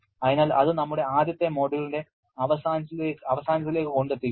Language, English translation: Malayalam, So, that takes us to the end of our first module